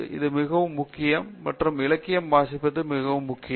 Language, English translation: Tamil, It is very important and reading up literature is very important